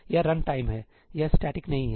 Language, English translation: Hindi, This is runtime, this is not static